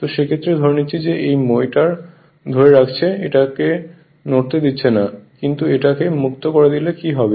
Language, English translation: Bengali, So, in that case as assuming that you are holding this ladder you are not allowing it to move, but if you make it free then what will happen